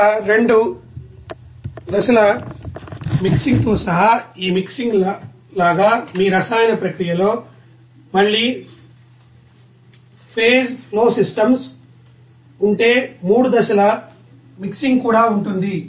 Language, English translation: Telugu, Like this you know mixing here including two phase mixing, even three phase mixing also be there if there is a multi phase flow systems in your chemical processes